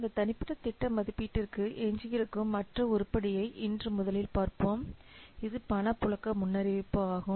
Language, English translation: Tamil, So that will see that now today we will first see the other item that is left for this individual project assessment that is cash flow forecasting